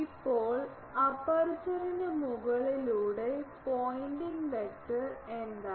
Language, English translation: Malayalam, Now, pointing vector over aperture is what